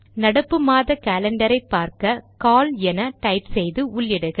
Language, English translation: Tamil, To see the current months calendar type at the prompt cal and press enter